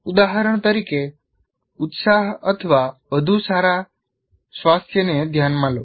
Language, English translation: Gujarati, For example, enthusiasm or better health